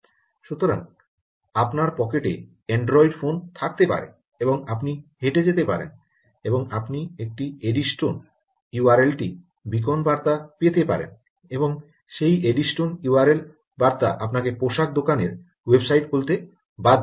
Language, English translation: Bengali, so you could be having an android phone in your pocket and you could be walking across and you could be receiving an eddystone u r l type of beacon message and that eddystone type of u r l message essentially will make you open up ah, the garment shop website